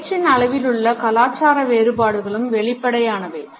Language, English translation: Tamil, The cultural aspects in the rate of speech are also apparent